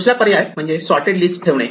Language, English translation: Marathi, The other option is to keep the list sorted